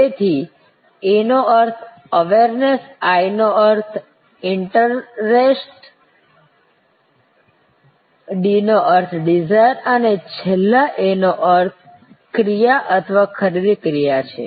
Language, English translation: Gujarati, So, there A stands for Awareness, I stands for Interest, D stands for Desire and finally, A stands for Action or the purchase action